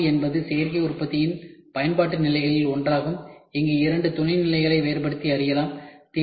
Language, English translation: Tamil, Prototyping is one of the application levels of additive manufacturing, where two sub levels can be distinguished